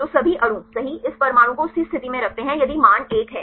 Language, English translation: Hindi, So, all the molecules right this atom is position in the same position if the value is 1